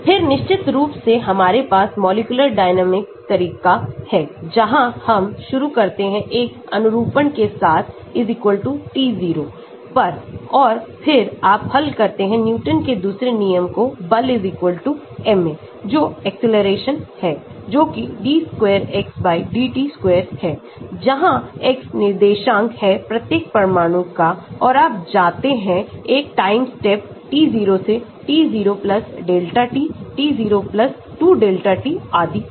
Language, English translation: Hindi, Then, of course we have the molecular dynamics approach where we start with one conformation at time = t0 and then you solve the Newton's second law, force = ma is the acceleration that is d square x/dt square, where x is the coordinates of each of the atom and you go, move from one time step t0 to t0 + delta t, t 0 + 2 delta t and so on